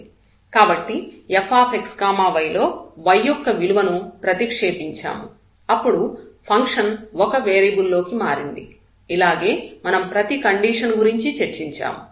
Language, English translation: Telugu, So, there we have substituted the value of the y into this f x y and then the function was converted into a function of 1 variable problem which we have discussed for along each of these conditions